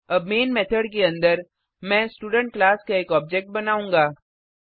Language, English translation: Hindi, Now inside the main method I will create an object of the Student class